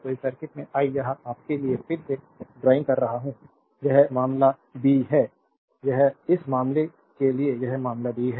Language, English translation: Hindi, So, in this circuit I am I am drawing it again for your understanding it is the case b, it is the for this case this is case b